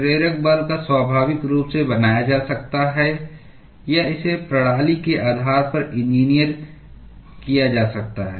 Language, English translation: Hindi, The driving force may be naturally created or it may be engineered depending upon the system